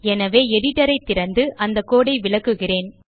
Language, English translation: Tamil, So I will open the editor and explain the code